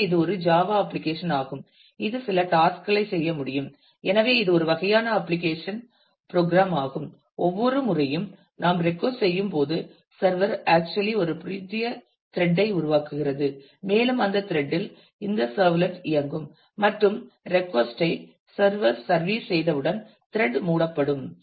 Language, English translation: Tamil, So, it is a Java application which can do certain tasks; so, it is an kind of an application program and every time we request then the server actually spawns a new thread and in that thread this servlet would be running and once the request is serviced the thread will be closed